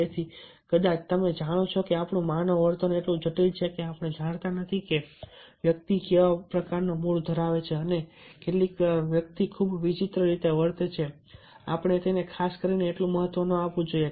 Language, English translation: Gujarati, you know, our human behavior is so much complex that we do not know that what kind of ah mood a person is having and sometimes person behave in a very strange manner